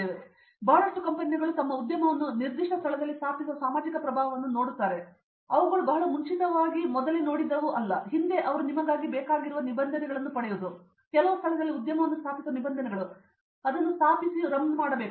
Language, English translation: Kannada, So, for example, lot of companies now look at the social impact of setting up their industry in a particular location which was not something that they very formally looked at earlier on, previously they just wanted to you know get the regulations, get pass the regulations to set up the industry in some location and they would just set it up and run